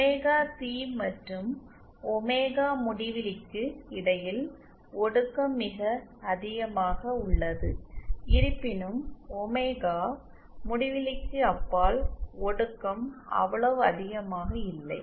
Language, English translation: Tamil, Whereas just between omega c and omega infinity the attenuations is quite high, beyond omega infinity, however the attenuation is not that high